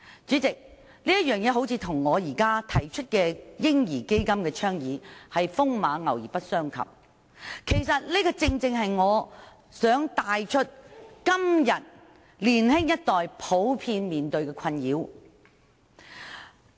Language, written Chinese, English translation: Cantonese, 主席，這件事似乎與我現在倡議成立"嬰兒基金"風馬牛不相及，但這正正能帶出年青一代普遍面對的困擾。, President the hearing appears to have nothing to do with my advocacy of establishing a baby fund but it can precisely bring us to the difficulties generally faced by the young generation